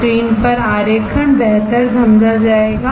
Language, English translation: Hindi, The drawing on the screen would explain it better